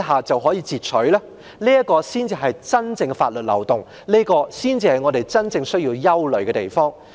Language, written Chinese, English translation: Cantonese, 這才是真正的法律漏洞，亦是我們真正需要憂慮之處。, This is a genuine loophole in law which really warrants our concern